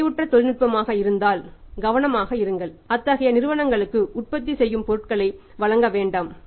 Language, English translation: Tamil, If it is saturated technology be careful do not supply to suchZ companies for manufacturing product based upon that